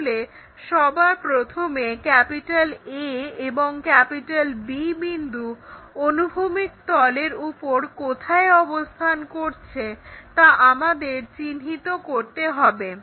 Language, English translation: Bengali, So, first of all we locate where exactly A point, B point are located in above horizontal plane